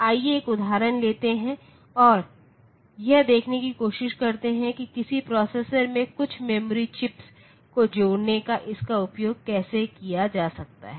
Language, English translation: Hindi, So, let us take an example and try to see how this can be utilized in represented in the connecting some memory chips to a processor